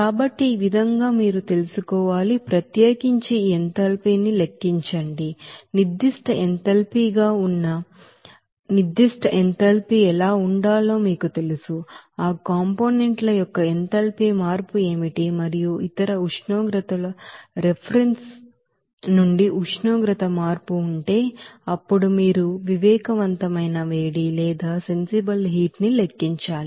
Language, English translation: Telugu, So in this way you have to you know, calculate this enthalpy for particular you know component what should be that specific enthalpy there that is specific enthalpy will be calculated based on that what will be the enthalpy change of formation of that components and also if there is a change of temperature from reference to other temperature, then you have to calculate the sensible heat